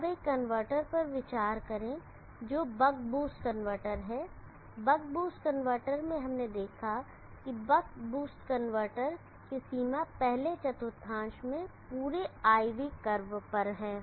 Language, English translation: Hindi, Now consider the converter which is the buck boost converter, the buck boost converter we saw that the range of the buck boost converter is the entire IV curve in the first quadrant